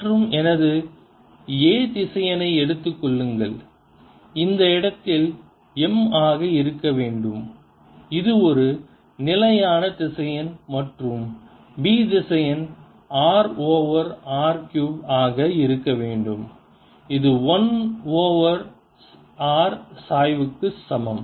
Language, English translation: Tamil, and take my a vector in this case to be m, which is a constant vector, and b vector to be r over r cubed, which is also equal to one over r, gradient of one over r